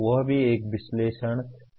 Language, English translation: Hindi, That also is a analysis activity